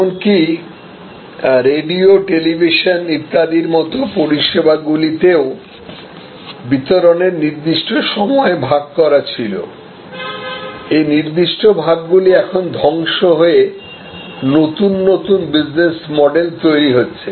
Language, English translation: Bengali, Even services like radios, television, were there were defined delivery stages, defined delivery change are now getting highly destructed and new business model